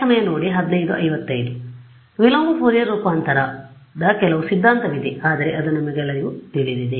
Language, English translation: Kannada, And so, there is some theory of a inverse Fourier transform, but you all know that